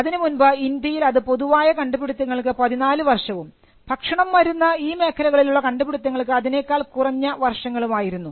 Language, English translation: Malayalam, India earlier had a 14 year period for inventions in general and a shorter period for patents inventions pertaining to food drug and medicine